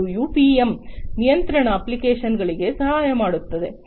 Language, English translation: Kannada, And also UPM helps in control applications